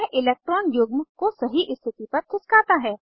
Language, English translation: Hindi, It moves the electron pair to the correct position